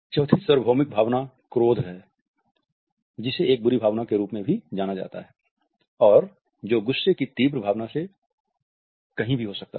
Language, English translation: Hindi, Fourth universal emotion is anger, which is known as an ugly emotion and which can range anywhere from annoyance to an intense feeling of rage